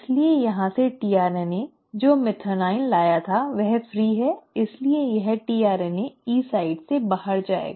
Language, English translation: Hindi, So from here the tRNA which had brought in the methionine is free, so this tRNA will go out from the E site